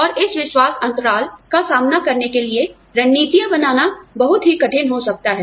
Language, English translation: Hindi, And, it could be very difficult, to design strategies, to deal with this trust gap